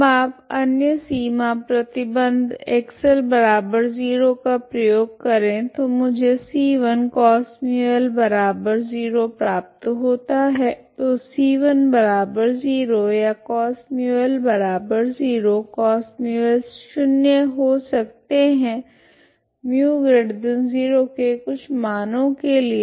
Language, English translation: Hindi, Now you apply other boundary condition X at L equal to 0 will give me c 1 Cos Mu L equal to 0 so c 1 is 0 or Cos Mu L is 0, Cos Mu L can be 0 for certain Mu positive values, okay